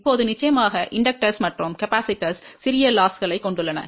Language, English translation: Tamil, Now of course, inductors and capacitors also have small losses